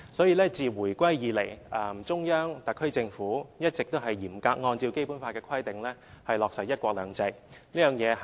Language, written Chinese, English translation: Cantonese, 因此，自回歸以來，中央和特區政府一直也嚴格按照《基本法》的規定，落實"一國兩制"。, Therefore since Hong Kongs return to the Motherland the Central Authorities and the HKSAR Government have all along been implementing one country two systems in strict accordance with the stipulations of the Basic Law